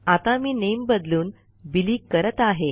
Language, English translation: Marathi, I want to change the name to Billy